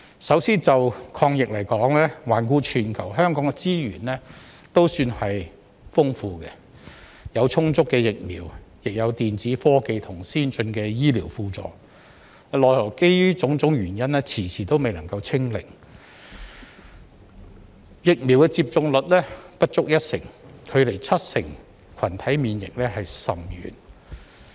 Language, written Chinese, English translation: Cantonese, 首先，就抗疫而言，環顧全球，香港的資源亦算豐富，有充足的疫苗，也有電子科技及先進的醫療輔助，奈何基於種種原因，遲遲未能"清零"，疫苗接種率仍不足一成，距離七成群體免疫甚遠。, First of all in fighting against the epidemic Hong Kong has abundant resources compared with the rest of the world . We have a sufficient supply of vaccines and electronic technology and advanced medical assistance are readily available . However due to various reasons the target of zero infection has not been achieved after a long time and our vaccination rate is still less than 10 % which is far away from the 70 % required to achieve herd immunity